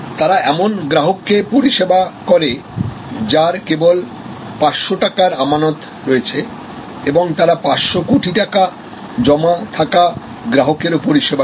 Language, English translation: Bengali, They serve a customer who has only 500 rupees deposit and they serve a customer who has 500 crores of deposit